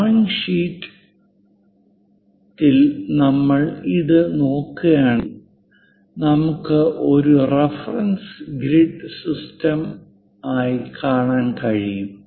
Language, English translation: Malayalam, If we are looking at this on the drawing sheet we can see a reference grid system